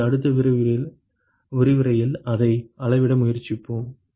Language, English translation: Tamil, So, we will try to quantify that in the next lecture